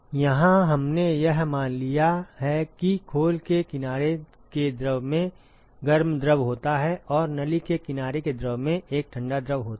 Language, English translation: Hindi, Here we have assumed that the shell side fluid has hot fluid and the tube side fluid has a cold fluid